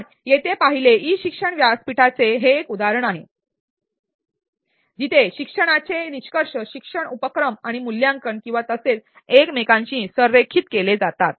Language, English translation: Marathi, As we saw here this was an example from in e learning platform, where learning outcomes learning activities and assessment or well aligned with each other